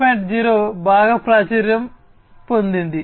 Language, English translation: Telugu, 0 has become very popular